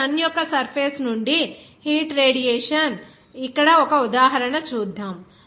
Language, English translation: Telugu, Now, let us see an example here, heat radiation from the surface of the Sun